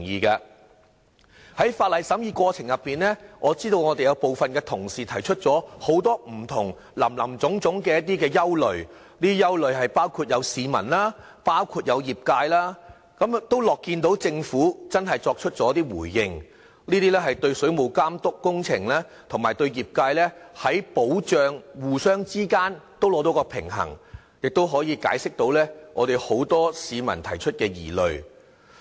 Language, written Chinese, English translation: Cantonese, 在審議《條例草案》的過程中，我知道我們有部分同事提出林林總總的不同憂慮，包括市民和業界的憂慮，我樂見政府真的作出回應，對水務工程的監督和對業界的保障之間取得平衡，亦可解釋大部分市民提出的疑慮。, Besides I also agree to the proposed revision of the time limit for prosecution to help remove the grey area of the entire legislation . In the course of deliberation I note that some Members have raised various concerns including relaying the concerns of the public and the trade over the Bill . I am happy that the Government has heeded their concerns and largely removed the worries of the public by striking a right balance between the regulation over the plumbing works and the protection of the trade